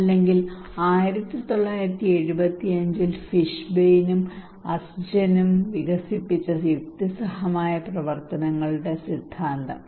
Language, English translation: Malayalam, Or theory of reasoned actions developed by Fishbein and Azjen in 1975